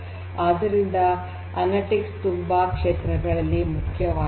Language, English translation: Kannada, So, analytics is important in different fronts